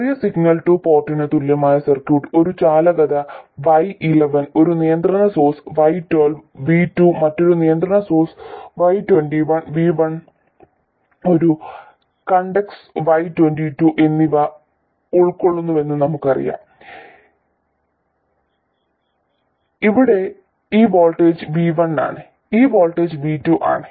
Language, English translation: Malayalam, We know that the circuit equivalent of the small signal two port consists a conductance Y11, a controlled source, Y12 V2, another controlled source, Y211, and a conductance, Y2, where this voltage is V1 and this voltage is V2